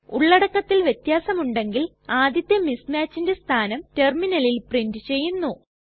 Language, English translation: Malayalam, If there are differences in their contents then the location of the first mismatch will be printed on the terminal